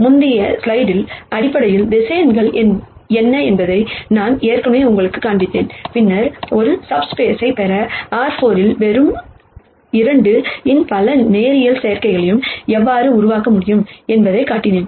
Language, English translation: Tamil, In the previous slide I had already shown you what the basis vectors are and then shown how I could generate many many linear combinations of just 2 in R 4 to get a subspace